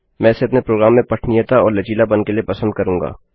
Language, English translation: Hindi, I prefer it for readability and flexibility for my program